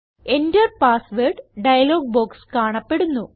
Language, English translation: Malayalam, The Enter Password dialog box appears